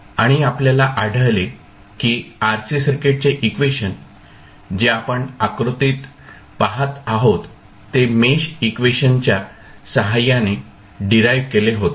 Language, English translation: Marathi, And we found that the equation for the RC circuit which we are seeing in the figure was was derived with the help of mesh equations